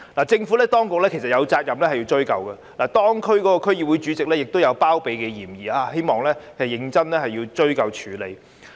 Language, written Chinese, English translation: Cantonese, 政府當局有責任追究，而當區區議會主席也有包庇嫌疑，希望當局認真追究和處理。, While the Administration is obliged to pursue the matter the DC Chairman concerned is suspected of connivance . I hope that the authorities will pursue and handle the matter seriously